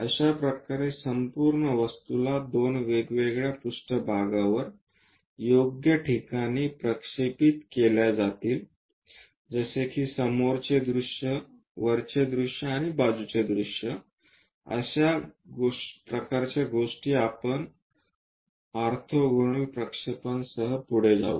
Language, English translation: Marathi, This is the way an entire object will be projected on two different planes show at suitable locations, something like front view, top view and side view that kind of things we will go with orthogonal projections